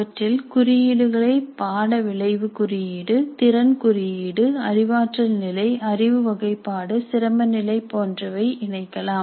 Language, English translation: Tamil, We can also include tags, course outcome code, competency code, cognitive level, knowledge category, difficulty level, etc